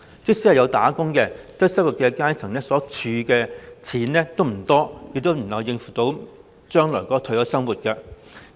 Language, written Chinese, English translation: Cantonese, 即使有工作，低收入階層所儲蓄的金錢不多，亦無法應付將來的退休生活。, As for people of the low - income class even if they are employed the limited amounts of money they can save up render it difficult for them to cope with their future retirement life